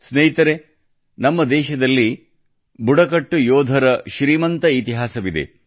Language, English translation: Kannada, Friends, India has a rich history of tribal warriors